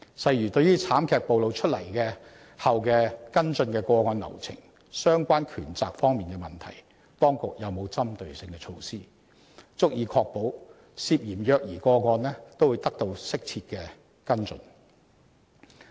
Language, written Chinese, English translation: Cantonese, 例如，對於慘劇暴露出關於跟進個案流程及相關權責方面的問題，當局有否針對性措施，足以確保涉嫌虐兒個案均會得到適切跟進？, For example as regards the problems relating to case follow - up procedures and relevant powers and responsibilities which have been exposed by the tragedy do the authorities have in place targeted measures that can effectively ensure appropriate follow - up of all alleged child abuse cases?